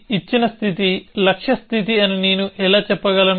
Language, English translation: Telugu, How do I say that a given state is a goal state